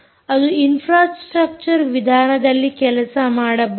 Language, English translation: Kannada, it can work as a in the infrastructure mode